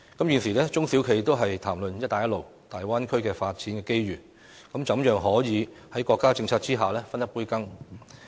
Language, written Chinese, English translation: Cantonese, 現時，中小企都在談論"一帶一路"和粵港澳大灣區的發展機遇，希望可以在國家政策下分一杯羹。, Currently all SMEs are talking about the development opportunities arising from the Belt and Road Initiative and the Guangdong - Hong Kong - Macao Bay Area hoping to get a slice of the action under the countrys policies